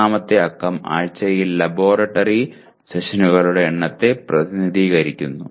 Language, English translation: Malayalam, The third digit corresponds to number of laboratory sessions per week